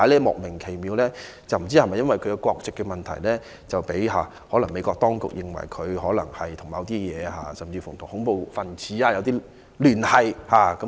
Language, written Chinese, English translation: Cantonese, 我不知道是否因為她的國籍問題，被美國當局認為她可能與恐怖分子有聯繫。, I wonder whether the problem lied with her nationality as the authorities in the United States might think that she had connection with the terrorists